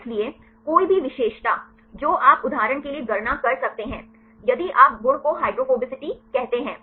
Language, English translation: Hindi, So, any features right you can calculate for example, if you take the property say hydrophobicity